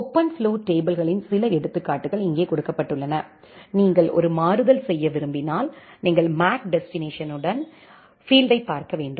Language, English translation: Tamil, Here are certain examples of OpenFlow tables; if you want to do a switching you have to look into the MAC destination field